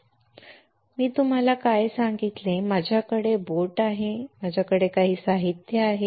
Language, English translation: Marathi, The screen now, what I told you is I have a boat I have some material right